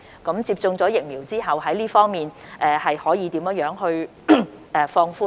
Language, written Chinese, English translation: Cantonese, 那麼，當接種疫苗後，這方面又可以如何放寬呢？, So how can all such measures be relaxed for those who have received vaccination?